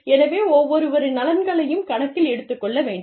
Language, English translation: Tamil, We need to take, everybody's interests, into account